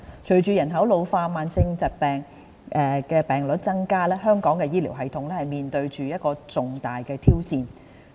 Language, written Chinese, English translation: Cantonese, 隨着人口老化、慢性疾病患病率增加，香港的醫療系統面對着重大的挑戰。, With an ageing population and the increased prevalence rate of chronic diseases Hong Kongs healthcare system is facing a major challenge